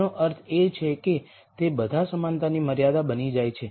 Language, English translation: Gujarati, That means, they all become equality constraints